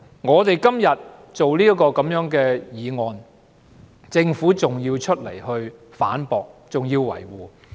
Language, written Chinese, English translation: Cantonese, 我們今天提出這項議案，政府還要出來反駁和維護。, Today we move this motion yet it is refuted by the Government